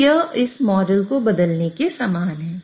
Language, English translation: Hindi, So that is same as inverting this model